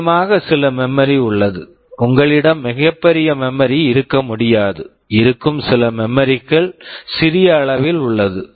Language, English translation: Tamil, There is some memory of course, you cannot have very large memory, some memory is there that is small in size